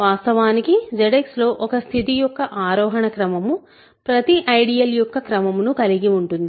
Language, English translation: Telugu, In fact, in Z X ascending chain of a condition holds for every chain of ideals